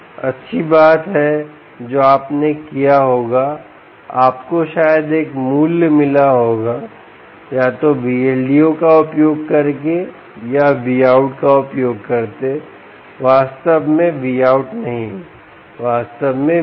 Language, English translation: Hindi, good thing you would have done is you would have probably got one value, either using v l d o or using the v out not actually v out, actually the v